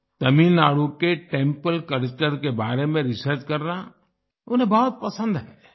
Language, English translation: Hindi, He likes to research on the Temple culture of Tamil Nadu